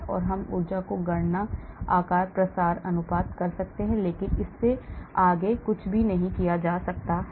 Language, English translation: Hindi, So we can do free energy calculations, shape, diffusion, conformations, but anything beyond that cannot be done